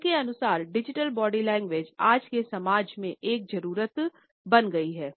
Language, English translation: Hindi, Digital body language according to him has become a need in today’s society